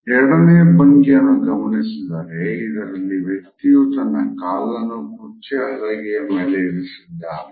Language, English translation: Kannada, If we look at the second posture; in which a person is sitting with a leg over the arm of the chair